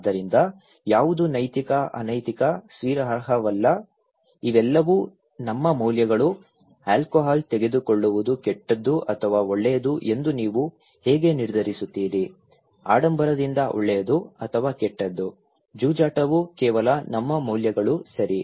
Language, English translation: Kannada, So, what is ethical unethical, acceptable unacceptable, these are all our values, how do you decide that taking alcohol is bad or good, from being flamboyant is good or bad, gambling is just our values, right, just our values